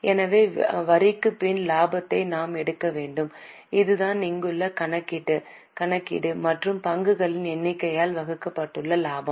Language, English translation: Tamil, So, we have to take profit after tax, that is the profit as we have calculated here and divide it by number of shares